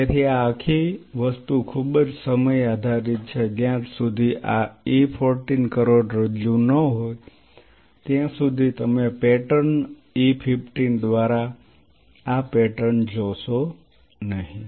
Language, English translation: Gujarati, So, this whole thing is a very time dependent one unless this is an E 14 spinal cord you will not see this pattern by E 15 the pattern changes